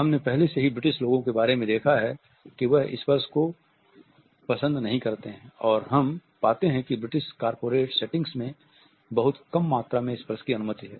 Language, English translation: Hindi, We have already looked at the situation of the British people who do not prefer touch and we find that in the British corporate setting very small amount of touch is permissible